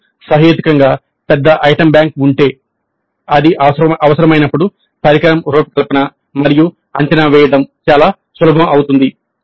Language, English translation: Telugu, If you have a reasonably large item bank then it becomes relatively simpler to design an assessment instrument when required